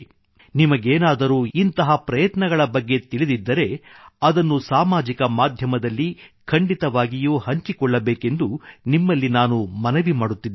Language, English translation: Kannada, If you are aware of other such initiatives, I urge you to certainly share that on social media